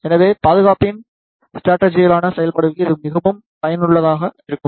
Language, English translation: Tamil, So, it is very useful for the strategically operation of the security